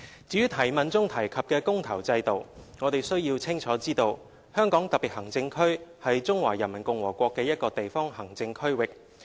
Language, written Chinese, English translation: Cantonese, 至於質詢中提及"公投"制度，我們須清楚知道，香港特別行政區是中華人民共和國的一個地方行政區域。, Regarding a system of referendum mentioned in the question we need to have a clear understanding that the HKSAR is a local administrative region of the Peoples Republic of China